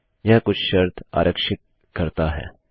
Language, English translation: Hindi, It takes a condition